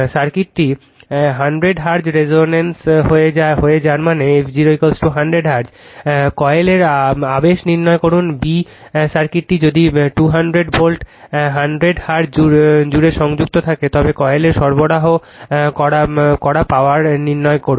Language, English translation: Bengali, The circuit resonates at 100 hertz that means your f 0 is equal to 100 hertz; a, determine the inductance of the coil; b, If the circuit is connected across a 200 volt 100 hertz source, determine the power delivered to the coil